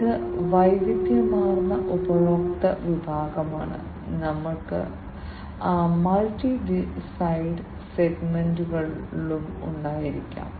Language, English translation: Malayalam, And this is diversified customer segment and we can also have multi sided segments